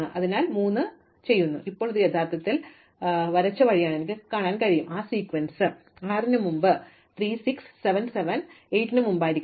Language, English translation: Malayalam, So, then I do 3, so now I can see that this is actually the way it is drawn is that is the sequence, I must do 3 before 6, 6 before 7, 7 before 8